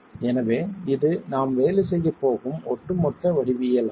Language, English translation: Tamil, So this is the overall geometry with which we are going to be working